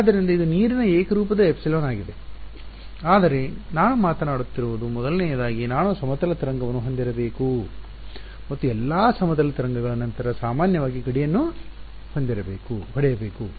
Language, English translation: Kannada, So, this is the homogeneous epsilon of water right whatever it is, but what I what I am talking about is first of all I need to have a plane wave and next of all the plane wave should be hitting the boundary normally